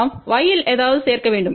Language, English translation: Tamil, We need to add something in y